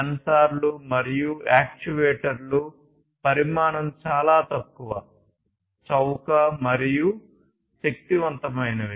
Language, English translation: Telugu, These sensors and actuators are very small in size and they are also powerful